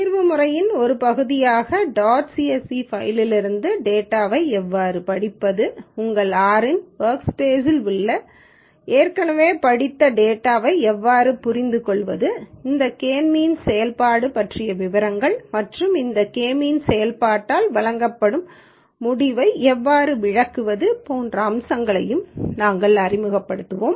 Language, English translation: Tamil, As a part of the solution methodology, we will also introduce the following aspects such as how to read the data from dot CSV file, how to understand the already red data which is in the workspace of your R, details about this K means function and how to interpret the results that are given by this K means function